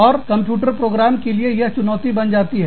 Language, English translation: Hindi, And, it becomes a challenge, for the computer program